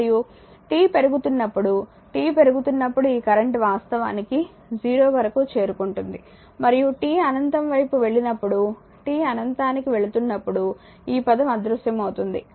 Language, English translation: Telugu, And when t is your increasing, when t is increasing this current actually approaching towards 0 and when t tends to infinity t is going to infinity right this term will vanish it will be 0